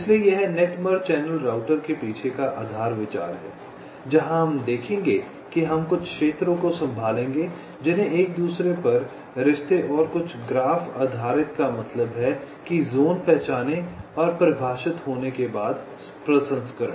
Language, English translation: Hindi, ok, so this is the basis idea behind net merge channel router, where we shall see that we shall be handling something called zones, the relationships upon each other, and also some graph based means, processing once the zones are indentified and defined